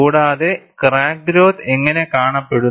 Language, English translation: Malayalam, And, how does the crack growth looks like